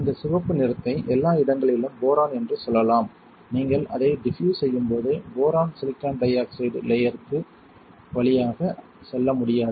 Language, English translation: Tamil, Let us say this red colour thing is boron everywhere, when you diffuse it boron cannot pass through silicon dioxide layer